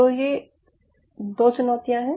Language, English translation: Hindi, there are two challenges